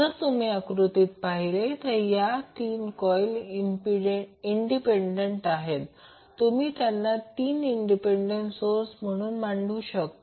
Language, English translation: Marathi, So, if you see this particular figure, so, these 3 coils are independent coils, so, you can consider them as 3 independent sources